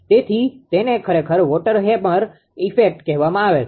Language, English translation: Gujarati, So, it is called actually water hammer effect right